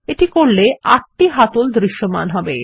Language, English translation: Bengali, On doing so, eight handles become visible